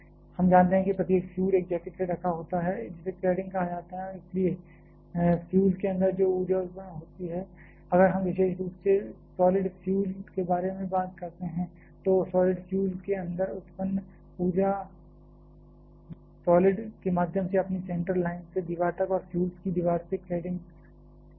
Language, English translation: Hindi, We know that every fuel is covered by a jacket called cladding and therefore, the energy that is produced inside the fuel if we are particularly talking about solid fuel the energy produced inside the solid fuel that will get conducted through the solid from its center line to the wall and from the wall of the fuel the cladding is there